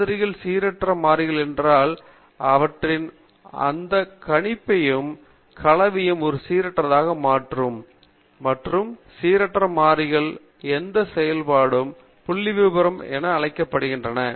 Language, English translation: Tamil, If the entities of a sample are random variables, then any mathematical combination of them will also be a random variable; and these functions of random variables are called as Statistics